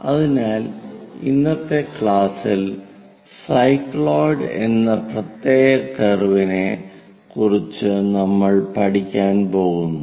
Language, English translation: Malayalam, So, in today's class, we are going to learn about a special curve name, cycloid